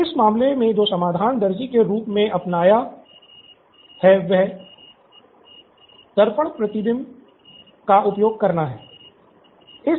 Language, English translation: Hindi, So the solution that the tailor adopted in this case is to use the mirror reflection